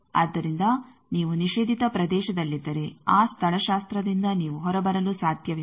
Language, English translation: Kannada, So, if you are in prohibited regions by that topology you cannot come out